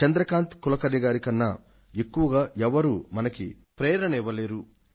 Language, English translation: Telugu, No one could be a greater source of inspiration than Chandrakant Kulkarni